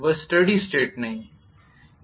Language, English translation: Hindi, That is not steady state